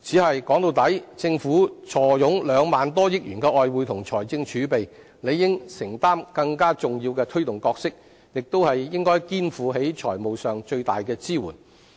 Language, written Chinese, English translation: Cantonese, 但說到底，政府坐擁兩萬多億元的外匯及財政儲備，理應承擔更重要的推動角色，亦應肩負起財務上的最大支援。, But after all given its foreign exchange reserves and fiscal reserves amounting to some 2,000 billion the Government should assume a more significant role of promotion and be committed to offering the strongest financial backing